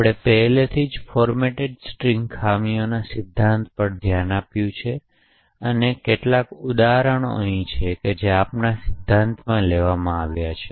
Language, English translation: Gujarati, So we have already looked at the theory of format strings vulnerabilities and there are some examples, which we are taken in the theory